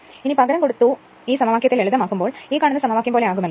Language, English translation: Malayalam, If you substitute and simplify the expression will be like this this equation right